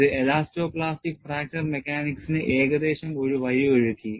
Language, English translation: Malayalam, This paved the way for elasto plastic fracture mechanics, at least approximately